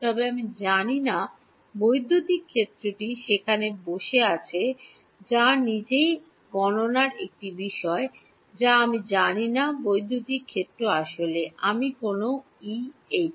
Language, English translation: Bengali, But I do not know the electric field is sitting in there which is itself an object of computation I do not know the electric field